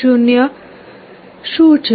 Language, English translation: Gujarati, So, what is 0